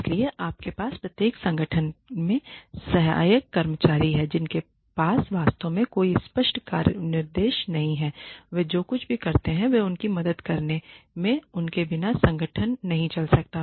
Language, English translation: Hindi, So, you have the support staff in every organization that do not really have any clear job specifications they do whatever they are told to do their helping hands, without them the organization cannot run